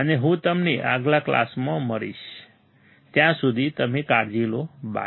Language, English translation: Gujarati, And I will see you in the next class, till then you take care, bye